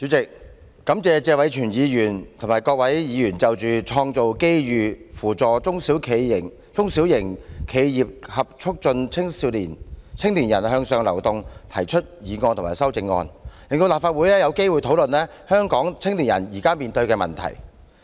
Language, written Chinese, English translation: Cantonese, 主席，感謝謝偉銓議員及各位議員就"創造機遇扶助中小型企業及促進青年人向上流動"提出議案及修正案，令立法會有機會討論香港青年人現時面對的問題。, President I thank Mr Tony TSE for moving the motion on Creating opportunities to assist small and medium enterprises and promoting upward mobility of young people and other Members for their amendments as they give this Council an opportunity to discuss the problems now facing the youths in Hong Kong